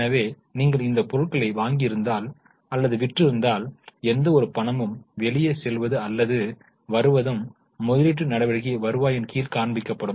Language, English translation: Tamil, So, if you have purchased or sold these items, any cash going out or coming in would be shown under cash from investing activities